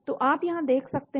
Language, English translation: Hindi, So you can look at here